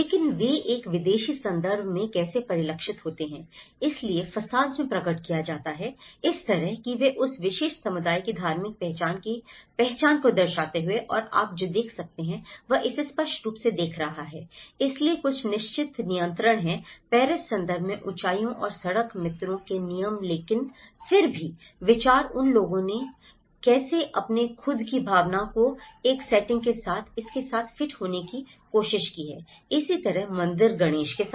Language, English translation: Hindi, But how they are reflected back in a foreign context, so the facades have been manifested in such a way, that they reflect the identity of the religious identity of that particular community and what you can see is so by looking it the facade so obviously, there are certain control regulations of heights and the street friends in the Paris context but then still considering those how they have tried to fit with this with a setting of their own sense of belonging and similarly, with the temple Ganesh